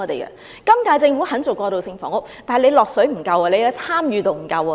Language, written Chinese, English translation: Cantonese, 現屆政府肯參與，但沒有投放足夠資源，參與程度也不足夠。, The incumbent Government is willing to get involved but it has not put in sufficient resources and its involvement is not proactive